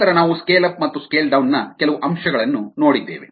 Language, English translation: Kannada, then we looked at some aspects of scale up and scale down